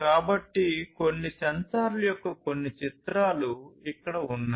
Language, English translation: Telugu, So, here are some pictures of certain sensors